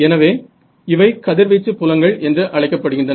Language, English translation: Tamil, So, these are called radiation fields and this is called radiated power